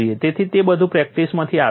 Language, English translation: Gujarati, So, all that comes from practice